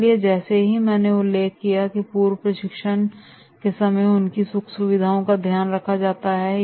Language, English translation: Hindi, So in the pre training that is as I mentioned that is their comforts are taken care of